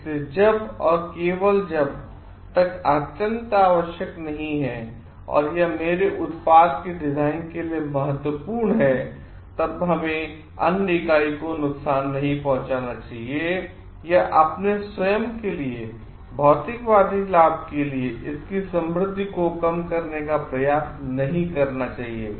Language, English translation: Hindi, So, until and unless it is like extremely necessary and it is vital for my design of a product, then we should not provide harm to the other entity or try to reduce its richness for materialistic benefits for our own self